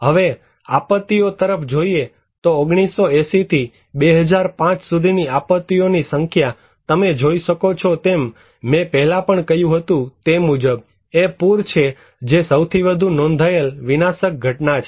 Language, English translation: Gujarati, Now, looking into the disaster; number of disasters from 1980’s to 2005, you can look as I told also before, it is the flood that is the most reported disastrous event